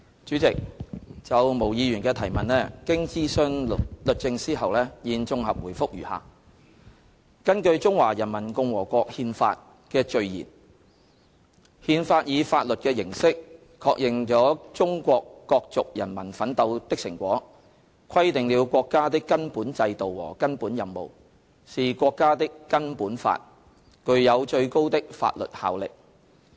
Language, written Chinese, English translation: Cantonese, 主席，就毛議員的質詢，經徵詢律政司後，現綜合答覆如下：根據《中華人民共和國憲法》的序言，"憲法以法律的形式確認了中國各族人民奮鬥的成果，規定了國家的根本制度和根本任務，是國家的根本法，具有最高的法律效力。, President having consulted the Department of Justice our consolidated reply to Ms Claudia MOs question is as follows According to the Preamble of the Constitution of the Peoples Republic of China [t]he Constitution in legal form affirms the achievements of the struggles of the Chinese people of all nationalities and defines the basic system and basic tasks of the State; it is the fundamental law of the State and has supreme legal authority